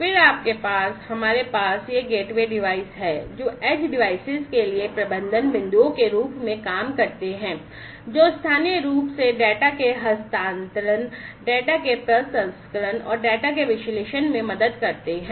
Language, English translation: Hindi, Then you, we have these gateway devices acting as the management points for the edge devices locally transferring helping in the transferring of the data, processing of the data, and analysis of the data